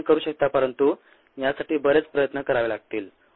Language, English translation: Marathi, ah, you can, but it takes a lot more effort